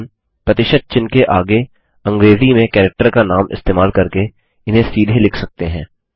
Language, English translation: Hindi, We can write them directly, by using the percentage sign followed by the name of the character in English